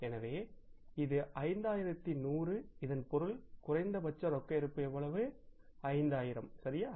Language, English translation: Tamil, So it means this is 5 5,100 minimum cash balance desired is how much